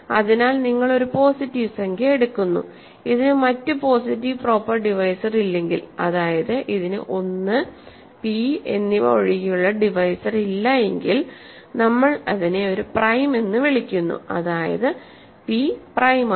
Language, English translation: Malayalam, So, you take a positive integer, we call it a prime if it has no other positive proper divisors, it has no divisors other than 1 and p; then p is prime